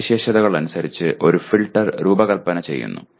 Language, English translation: Malayalam, Designing a filter as per specifications